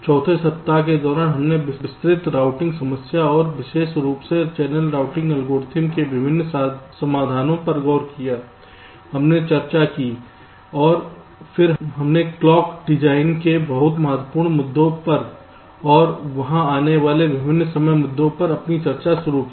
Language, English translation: Hindi, during the fourth week we looked at the detailed routing problem and the various solutions, in particular the channel routing algorithms we have discussed, and then we started our discussion on the very important issue of clock design and the various timing issues that come there in